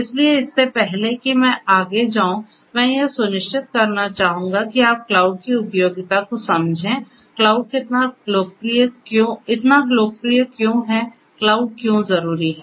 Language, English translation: Hindi, So, before I go any further I would like to you know make sure that you understand the utility of cloud, why cloud is so popular, why cloud is necessary